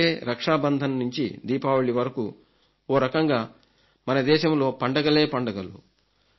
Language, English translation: Telugu, From Raksha Bandhan to Diwali there will be many festivals